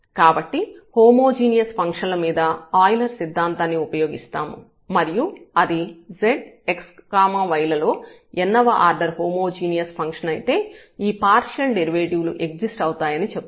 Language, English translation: Telugu, So, precisely what it is called the Euler’s theorem on homogeneous function and it says if z is a homogeneous function of x and y of order n and these partial derivatives exist and so on